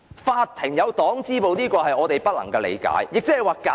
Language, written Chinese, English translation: Cantonese, 法院設有黨支部，這是我們所不能理解的。, It is inconceivable to us to see the Party branch in courts